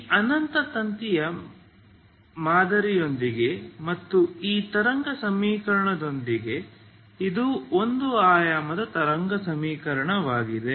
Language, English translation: Kannada, Now what is the, this is the equation this is the wave equation one dimensional wave equation